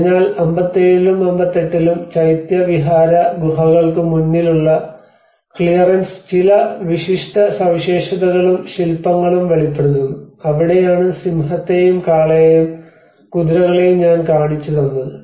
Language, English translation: Malayalam, So, in 57 and 58, clearance in front of the Chaitya and Vihara caves reveal some unique features and sculptures that is where I showed you the lion and bull, the horses